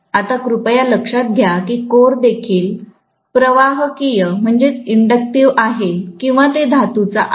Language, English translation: Marathi, Now, please note that the core is also conductive or it is metallic, right